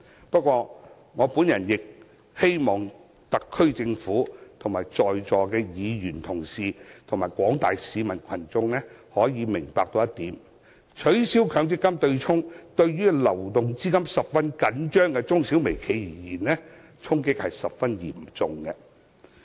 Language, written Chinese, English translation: Cantonese, 不過，我亦希望特區政府、在座各位議員及廣大市民可以明白，取消強積金對沖，對於流動資金十分緊張的中小微企而言，衝擊十分嚴重。, But I hope the SAR Government honourable Members here and members of the public can also understand that abolishing the offsetting arrangement will deal a serious blow to SMEs and micro - enterprises which have tight cash flow